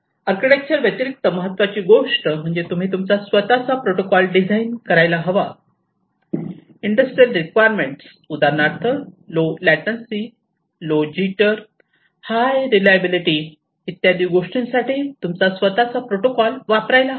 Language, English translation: Marathi, But, what is important is irrespective of the architecture, you need to design protocols, you need to use the protocols, which will cater to the industrial requirements of low rate latency, low jitter, and high reliability